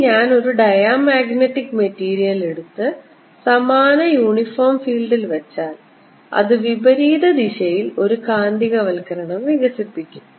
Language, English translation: Malayalam, on the other hand, if i look at diamagnetic material and put it in the similar uniform field, it'll develop a magnetizationally opposite direction